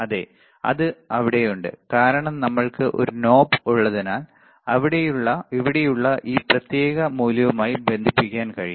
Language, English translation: Malayalam, So, yes, it is there, right because we have we have a knob that we can connect it to the this particular value here